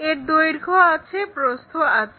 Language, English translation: Bengali, It has length, it has breadth